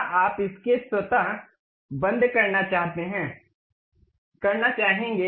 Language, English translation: Hindi, Would you like to sketch to be automatically close